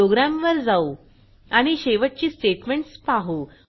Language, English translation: Marathi, Coming back to the program and the last set of statements